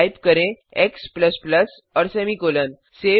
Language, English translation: Hindi, Type x++ and a semicolon